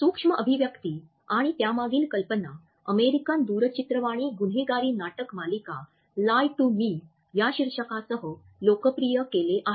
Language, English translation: Marathi, The term micro expression as well as the idea behind them was popularized by an American crime drama television series with the title of "Lie to Me"